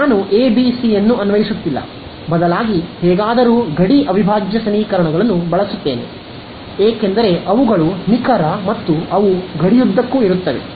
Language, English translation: Kannada, Is the part which instead of applying a ABC I apply, I somehow use the boundary integral equations, because they are exact and they are along the boundary